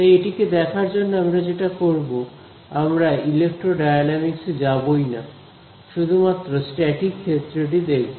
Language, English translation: Bengali, So, in order to look at this, there are what I will do is we will not even go into electrodynamics, we will just take a static case